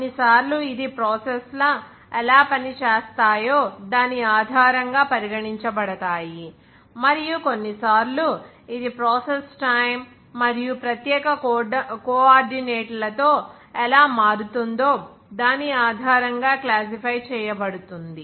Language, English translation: Telugu, Sometimes it can be regarded as based on how the processes are designed to operate, and even sometimes it is classified as based on how the process varies with time and also special coordinates